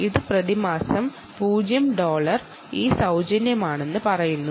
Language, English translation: Malayalam, it says free, zero dollars per month